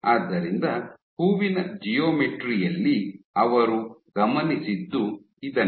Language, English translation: Kannada, So, on the flowers on the flowered geometry this is what they observed